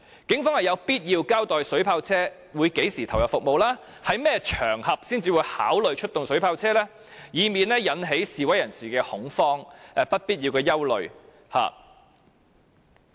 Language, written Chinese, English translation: Cantonese, 警方是有必要交代水炮車於何時投入服務，以及在甚麼場合才會考慮出動水炮車，以免引起示威人士的恐慌及不必要的憂慮。, It is necessary for the Police to explain when the water cannon vehicles will be in action and under what circumstances the Police will consider mobilizing the water cannon vehicles . This will avoid causing panic and unnecessary anxieties among protesters